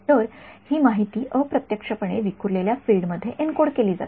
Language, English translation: Marathi, So, this information indirectly is being encoded into the scattered field